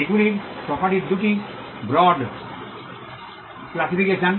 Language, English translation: Bengali, These are two broad classifications of property